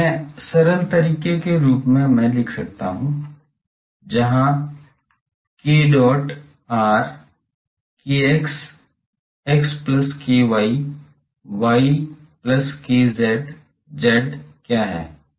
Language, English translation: Hindi, So, this in simplified way I can write as, where what is k dot r k x x plus k y y plus k z z